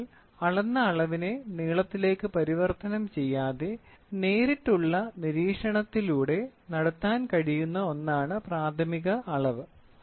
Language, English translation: Malayalam, Primary measurement is one that can be made by direct observation without involving any conversion of the measured quantity into length